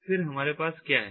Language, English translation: Hindi, then what we have